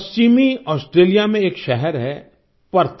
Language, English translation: Hindi, There is a city in Western Australia Perth